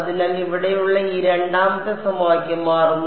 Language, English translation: Malayalam, So now, let us go back to this equation that we have over here